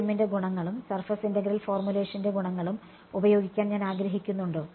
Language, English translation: Malayalam, Is I want to make use of the advantages of FEM and the advantages of surface integral formulation